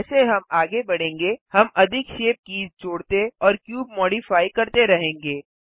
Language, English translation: Hindi, We can keep adding more shape keys and modifying the cube as we go